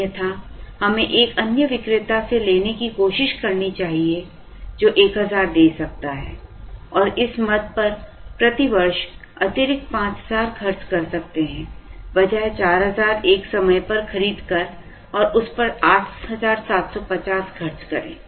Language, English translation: Hindi, Otherwise, we should try another vendor, who can give 1000 and spend an additional 5000 per year on this item, rather than by 4000 at a time and spend 8750 on that